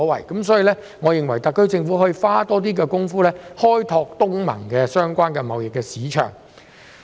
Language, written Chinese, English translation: Cantonese, 因此，我認為特區政府可多下工夫，開拓與東盟相關的貿易市場。, Therefore I think that the SAR Government should step up its efforts to explore ASEAN trade markets